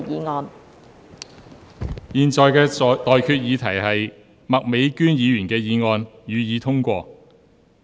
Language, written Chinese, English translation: Cantonese, 我現在向各位提出的待議議題是：麥美娟議員動議的議案，予以通過。, I now propose the question to you and that is That the motion moved by Ms Alice MAK be passed